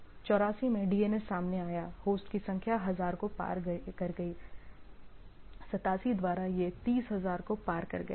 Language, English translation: Hindi, In 84 DNS came into play; number of host crosses 1000, by 87 it crossed 30000